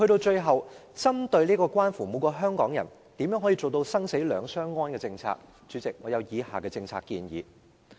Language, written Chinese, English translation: Cantonese, 最後，針對這項關乎每個香港人如何能做到生死兩相安的政策，主席，我有以下的政策建議。, To conclude on this policy concerning how every Hongkonger can face life and death in peace President I have the following policy recommendations